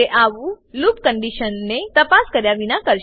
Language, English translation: Gujarati, It will do so without checking the loop condition